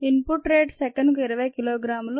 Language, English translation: Telugu, rate of input is twenty kilogram per second